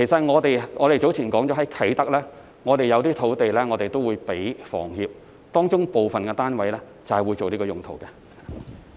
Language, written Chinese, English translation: Cantonese, 我們早前說過，啟德有一些土地會撥給房協建屋，當中部分單位便會作此用途。, We have mentioned earlier that some sites in Kai Tak would be allocated to HKHS for housing construction and some of the flats would be used for this purpose